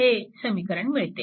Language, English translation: Marathi, So, this is one equation